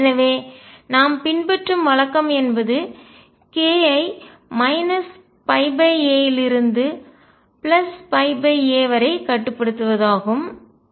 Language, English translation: Tamil, So, what the convention we follow is restrict k to minus pi by a to plus pi by a